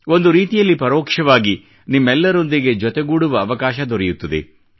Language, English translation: Kannada, In a way, indirectly, I get an opportunity to connect with you all